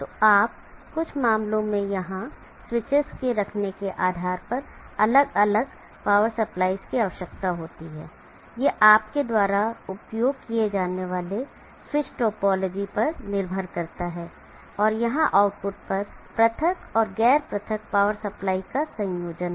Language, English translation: Hindi, So you may land up with isolated power supplying in some cases depending upon the placing of the switches here, depending upon the switch to topology that you may use and have combination of isolated and non isolated power supplies at the outputs here